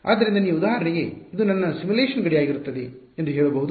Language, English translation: Kannada, So, you can for example, say that this is going to be my simulation boundary ok